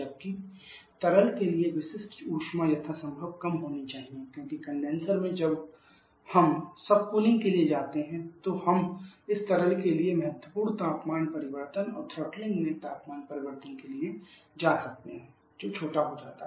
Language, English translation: Hindi, Specific for liquid should be as low as possible because during in the condenser when we go for subcooling then we can go for significant temperature change for this liquid and throttling temperature changing throttling that becomes smaller